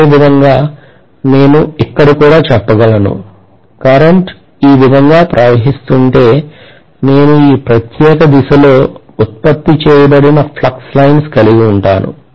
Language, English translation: Telugu, The same way I should be able to say here also, if my current is flowing like this right, so I am going to have the flux lines produced in this particular direction